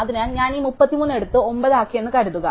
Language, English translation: Malayalam, So, supposing I take this 33 and I make it 9